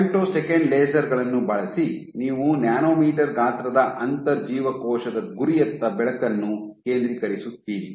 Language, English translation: Kannada, So, using femtosecond lasers you focus light onto a nanometer sized intracellular target